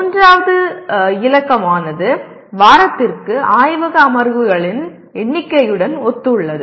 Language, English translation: Tamil, The third digit corresponds to number of laboratory sessions per week